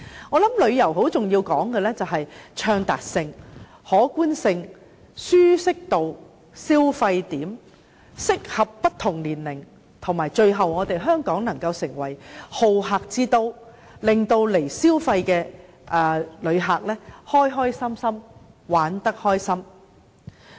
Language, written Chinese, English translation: Cantonese, 我認為在旅遊方面，很重要的是暢達性、可觀性、舒適度，以及消費點能夠適合不同年齡人士，令香港成為好客之都，使來港消費的旅客玩得開心。, I consider that in terms of tourism the crucial factors are accessibility appeal comfort and shopping spots that are suitable for all ages . All of this can help make Hong Kong a hospitable city and give pleasure and enjoyment to visitors who come to Hong Kong for spending